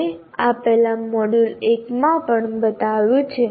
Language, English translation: Gujarati, So we have shown this earlier in the module 1 as well